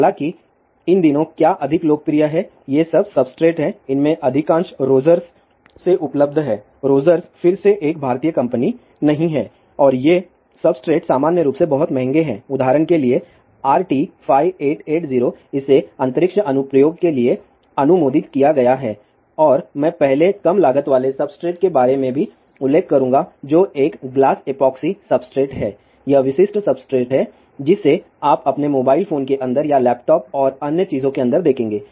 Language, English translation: Hindi, 0004 and gain there are many manufacturer ; however, what are more popular these days are these substrates most of these are available from Rogers; Rogers is again not an Indian company and these substrates are in general very expensive for example, RT5880 this has been approved for space application and I will also mentioned about the low class substrate first which is a glass epoxy substrate this is the typical substrate which you will see inside your mobile phone or inside laptop and other thing